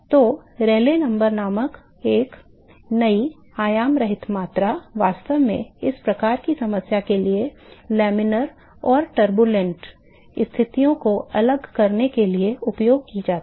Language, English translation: Hindi, So, a new dimensionless quantity called Rayleigh number is actually used for distinguishing the laminar and turbulent conditions for these kinds of problem